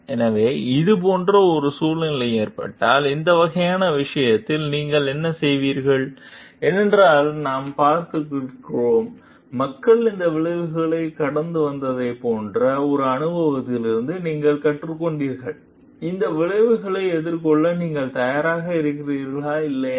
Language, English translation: Tamil, So, if similar kind of situation is happening, then would what would you do in this kind of case is will be a because we have seen, you have learned from experience like people have gone through these consequences would you be ready to face these consequences or not